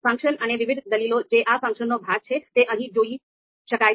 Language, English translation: Gujarati, The function and different arguments which are part of this function, you can see here